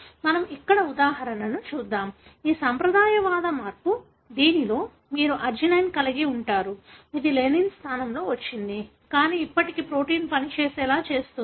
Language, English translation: Telugu, For example this conservative change, wherein you have arginine that has come in place of lysine, but still allow the protein to function the way it does